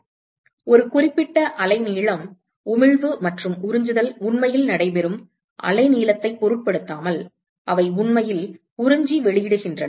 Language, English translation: Tamil, So, a certain wavelength, they actually absorb and emit irrespective of the wavelength at which the emission and absorption actually takes place